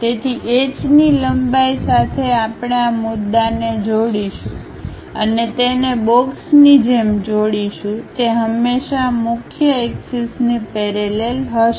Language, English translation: Gujarati, So, with H length we will connect these points and join it like a box, always parallel to our principal axis